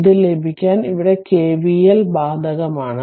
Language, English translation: Malayalam, So, to get this what you do apply here K V L